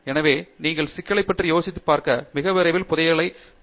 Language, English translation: Tamil, So, make sure that you are thinking about the problem and you will hit the treasure very soon